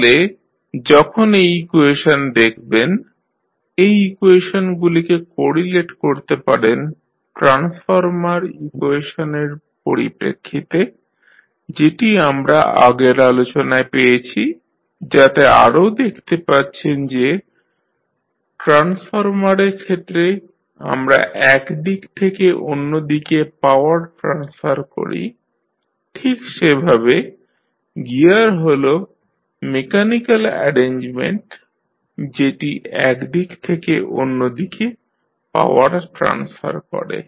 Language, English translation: Bengali, So, when you see this equation, you can correlate these equations with respect to the transformer equations, which we derived in earlier discussions so you can also see that as we saw in case of transformer, we transfer the power from one side to other side, similarly the gear is the mechanical arrangement which transfers power from one side to other side